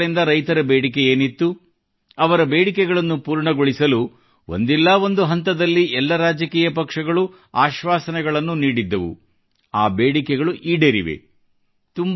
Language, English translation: Kannada, The demands that have been made by farmers for years, that every political party, at some point or the other made the promise to fulfill, those demands have been met